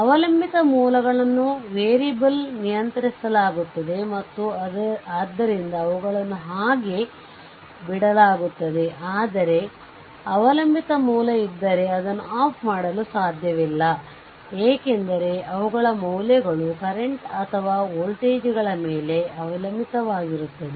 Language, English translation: Kannada, Dependent sources and dependent sources are controlled by variables and hence they are left intact so, but if dependent source are there, you just cannot turned it off right because their values are dependent on the what you call current or voltages right